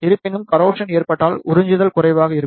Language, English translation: Tamil, However, in case of the corrosion the absorption will be less